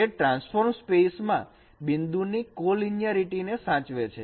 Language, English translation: Gujarati, It preserves the collinearity of the points in the transformed space